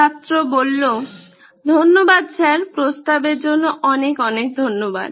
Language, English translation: Bengali, Thank you sir, thank you so much for the offer